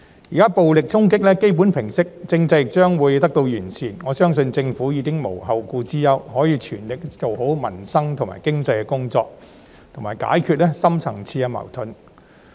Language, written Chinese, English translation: Cantonese, 現時暴力衝擊基本上已平息，政制亦將會得到完善，我相信政府已無後顧之憂，可以全力做好民生及經濟的工作，以及解決深層次矛盾。, Now that violent assaults have basically subsided and the political system will be improved I believe that the Government can be free from worries to make all - out efforts to improve peoples livelihood and the economy and to resolve the deep - rooted conflicts